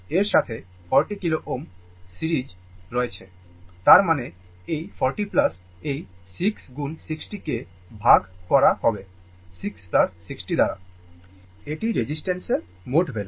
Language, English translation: Bengali, With that, 40 kilo ohm are in series; that means, this 40 plus this 6 into 60 divided by your 6 plus 60; this is the total your what you call this is that your total value of the resistance, right